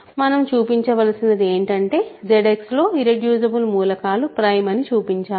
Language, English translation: Telugu, So, all we need to show is that irreducible elements are prime